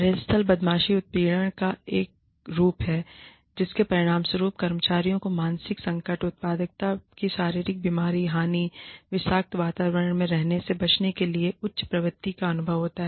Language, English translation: Hindi, Workplace bullying is a form of harassment, that results in, employees experiencing mental distress, physical illness, loss of productivity, and a higher propensity to quit, to avoid being in a toxic environment